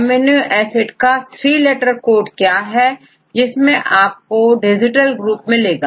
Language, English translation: Hindi, Now another question is, what a three letter codes of amino acids which you have distal carboxyl group